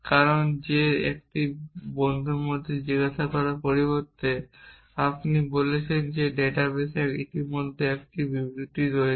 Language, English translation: Bengali, that is how will instead of asking in a friend you are saying that is there a statement like that in my database already